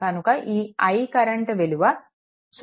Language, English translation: Telugu, So, this is actually 0